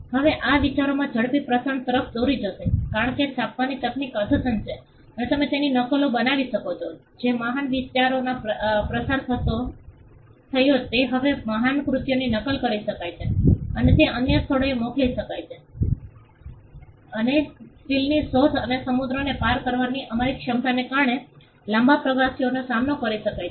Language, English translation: Gujarati, Now this lead to the quick spread of ideas because printing technology advanced and you could make copies of; what was disseminated big ideas great works could now be copied and it could be sent to other places and because of the invention of steel and our ability to cross the seas using ships which could withstand long voyages